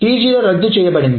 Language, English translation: Telugu, So T0 needs to be redone